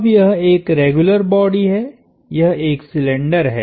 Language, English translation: Hindi, Now this is a regular body, it is a cylinder